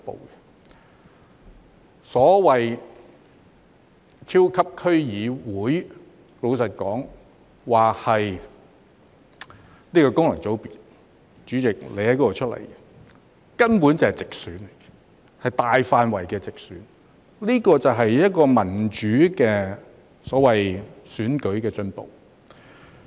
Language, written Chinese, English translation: Cantonese, 老實說，所謂的超級區議會，雖然說是功能界別——代理主席你是由此界別選出的——但其實根本便是直選，是大範圍的直選，這便是民主選舉的進步。, Frankly speaking even though the so - called super District Council is a functional constituency―Deputy President you are returned by this constituency―it is in fact a direct election a direct election of an extensive scale . This is a progress of democratic elections